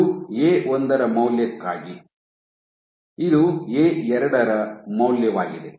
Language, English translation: Kannada, So, this is for value of A1, this is for value of A2